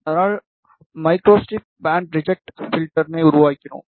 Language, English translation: Tamil, So, we made a microstrip band reject filter